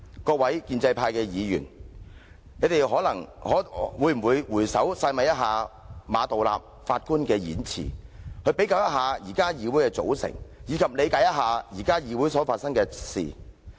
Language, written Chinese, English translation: Cantonese, 各位建制派議員，你們可會回首細味一下馬道立首席法官的演辭，比較一下現時議會的組成，理解一下現時議會所發生的事情？, May I ask pro - establishment Members to ponder Chief Justice Geoffrey MAs remarks vis - a - vis the present composition and incidents of this Council